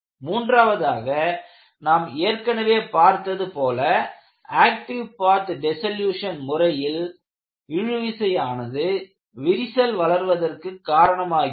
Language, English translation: Tamil, And the third step is, we have already seen, in the case of active path dissolution; tensile stresses causes the correct environment for the crack to grow